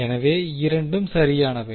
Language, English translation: Tamil, So, both are correct